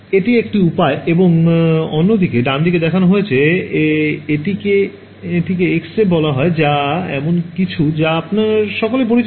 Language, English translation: Bengali, And that is one way and the other way is shown on the right is what is called an X ray which is also something you are all familiar with right